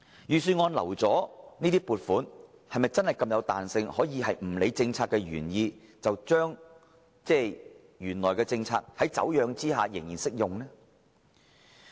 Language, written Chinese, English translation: Cantonese, 預算案預留的撥款是否真的具有這麼大彈性，可以不理政策原意而繼續適用於已經"走樣"的政策？, Are the reserved provisions set out in the Budget really so flexible that they can still be used to support the twisted policy which has deviated from the original policy intent?